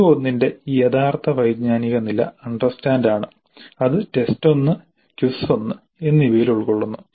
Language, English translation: Malayalam, You can see CO1, the actual cognitive level of CO1 is understand and that is being covered in T1 that is test one and quiz one